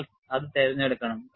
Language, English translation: Malayalam, That is how they have chosen